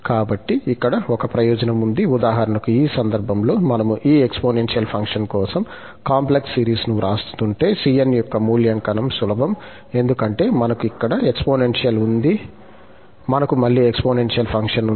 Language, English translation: Telugu, So, there is an advantage here, for instance, in this case, if we are writing the complex series for this exponential function, evaluation of this cn is easy, because we have exponential and we have again exponential